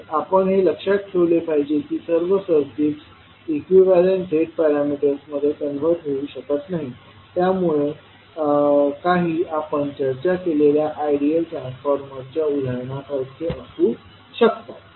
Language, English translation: Marathi, So, we have to keep in mind that not all circuits can be converted into the equivalent Z parameters to a few of them are like we discussed with the help of ideal transformer example